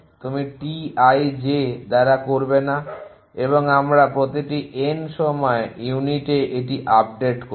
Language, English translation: Bengali, You will do not by T i j and we will update it at every N time units